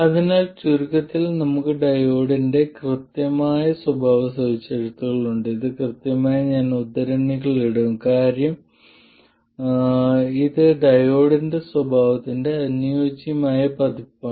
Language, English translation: Malayalam, So, to summarize, we have the exact characteristics of the diode and this exact I will put in quotes because this is still an idealized version of the diode characteristics and in a practical diode you will have other non ideal features